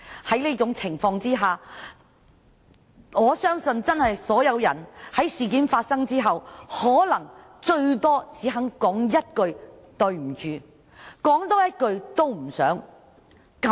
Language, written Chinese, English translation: Cantonese, 因為這條的緣故，我相信所有人在事件發生後，可能頂多只肯說一句"對不起"，根本不想再多言。, As a result of this clause people will just stop at saying sorry at best when a certain incident occurs and will not bother to say anything more